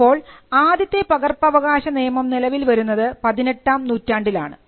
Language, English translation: Malayalam, So, we find the copyright the initial copyright law that came into being in the 18th century